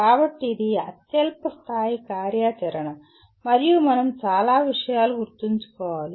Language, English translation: Telugu, So this is a lowest level activity and we require to remember many things